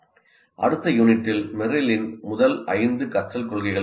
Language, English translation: Tamil, And in the next unit, we will be looking at Merrill's five first principles of learning